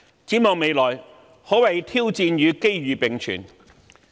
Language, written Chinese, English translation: Cantonese, 展望未來，可謂挑戰與機遇並存。, The future holds a mix of challenges and opportunities